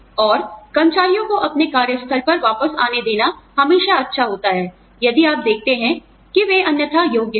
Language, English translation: Hindi, And, it is always nice to let employees, come back to their workplace, if you see that, they are otherwise qualified